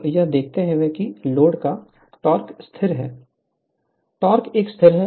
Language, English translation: Hindi, So, given that the torque of torque of the load is constant